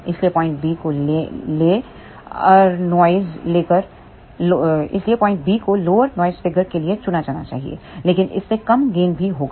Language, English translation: Hindi, So, point B should be chosen for lower noise figure, but that will have a lower gain also